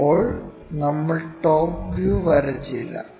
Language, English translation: Malayalam, Now, we did not draw the top view